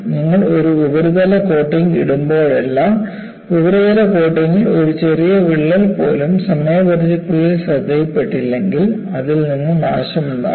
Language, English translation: Malayalam, You know, whenever you put a surface coating, even a small crack in the surface coating, over a period of time, if unnoticed, can precipitate corrosion from that